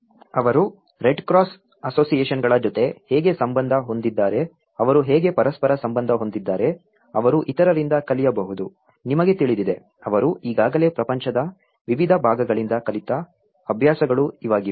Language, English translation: Kannada, How they have also associated with in the red cross associations, how they have also associated with each other so, that they can learn from other, you know, practices which they have already learned from different parts of the globe